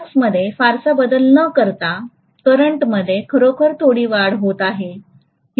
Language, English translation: Marathi, The current is actually increasing quite a bit without making much of change in the flux